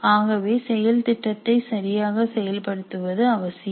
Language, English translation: Tamil, So, it is important to have the process implemented properly